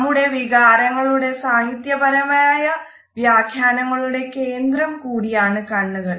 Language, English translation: Malayalam, Eyes have often been the focus of our literary interpretation of emotions also